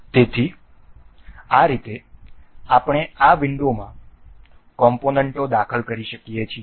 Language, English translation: Gujarati, So, in this way we can insert components in this window